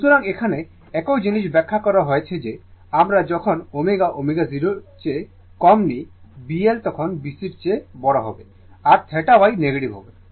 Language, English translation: Bengali, So, same thing is explained here that your what we call when omega less than omega 0 B L greater than B C theta Y will be negative right